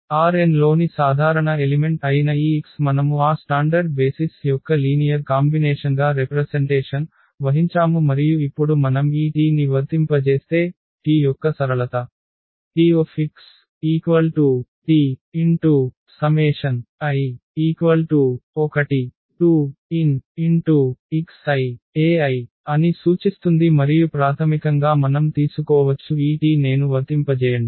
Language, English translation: Telugu, So, this x which is a general element in R n we have represented as a linear combination of that those standard basis and now if we apply this T, the linearity of T will implies that T x T of x will be the T of this here the summation and basically we can take we can apply on this T i’s